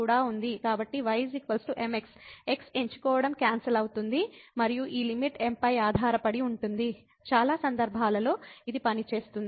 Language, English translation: Telugu, So, choosing is equal to the will get cancel and this limit will depend on m, in most of the cases this will work